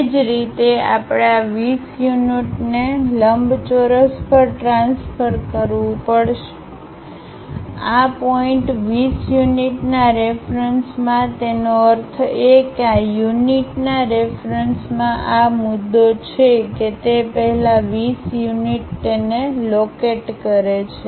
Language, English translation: Gujarati, Similarly, we have to transfer this 20 units on the rectangle, with respect to this point 20 units; that means, this is the point with respect to that 20 units first locate it